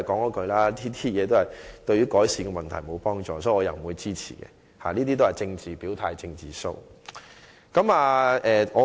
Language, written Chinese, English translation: Cantonese, 我的意見依然是：這對改善問題並無幫助，所以我不會支持，因這只是政治表態、"政治 show"。, My view is still that it is helpless in improving the matter so I will not support it because this is simply an expression of political position as well as a political show